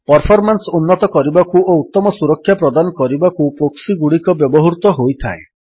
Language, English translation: Odia, Proxies are used to improve performance and provide better security